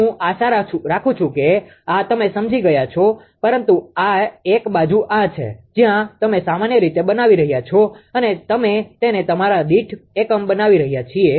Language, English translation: Gujarati, I hope this you understood, but one thing is there this side where you are making generally we make it your per unit